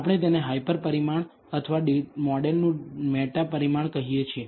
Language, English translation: Gujarati, We call this a hyper parameter or a meta parameter of the model